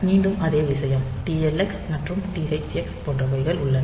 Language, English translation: Tamil, So, again the same thing TLX and THX